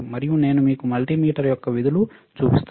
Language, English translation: Telugu, And I will show it to you, the functions of the multimeter